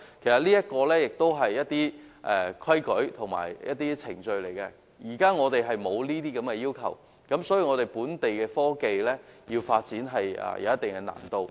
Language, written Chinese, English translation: Cantonese, 這些都是一些有效的規例和程序，但現時並沒有這些要求，因而令本地的科技發展有一定的難度。, All of these are some effective regulations and procedures but as these requirements are not put in place now certain difficulties are involved in the development of locally - developed technologies